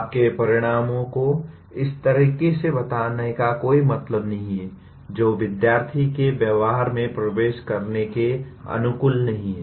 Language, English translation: Hindi, There is no point in stating your outcomes in a manner which are not compatible with entering behavior of students